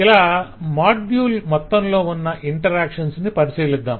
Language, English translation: Telugu, and we will look into the interactions across the module